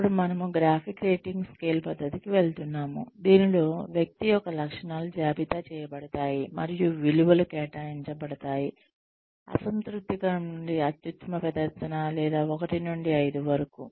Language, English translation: Telugu, Now, we are moving on to, the graphic rating scale method, in which, the traits of the person are listed, and values are assigned, from un satisfactory to out standing, or, 1 to 5